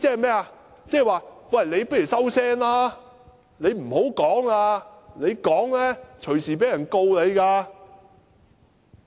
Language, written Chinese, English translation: Cantonese, 即是說，你不如收聲吧，你不要說了，你說話隨時被控告。, It means the complainant had better shut up for he might be sued at any time for what he said